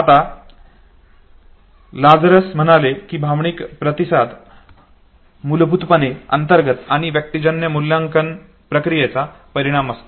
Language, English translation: Marathi, Now Lazarus now said that emotional responses are basically outcome of internal and situational appraisal processes okay